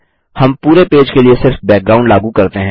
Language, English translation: Hindi, We just apply a background to the whole page